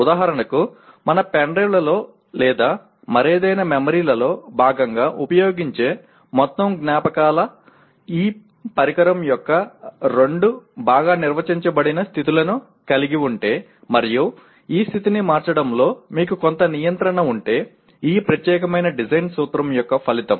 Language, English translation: Telugu, For example, the entire memories that we use as a part of our pen drives or any other memory is the result of this particular design principle if we have two well defined states of any device and you have some control of keep switching the state of the device it can become a memory